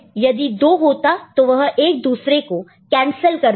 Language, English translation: Hindi, So, for which then if 2, then one cancels the other